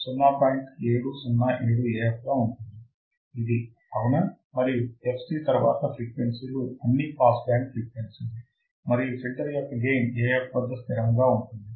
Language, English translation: Telugu, 707 Af, this one right and after fc all frequencies are pass band frequencies the filter has a constant gain of Af